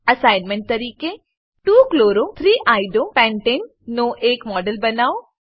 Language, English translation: Gujarati, As an assignment, Create a model of 2 chloro 3 Iodo pentane